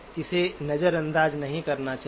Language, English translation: Hindi, Should not ignore it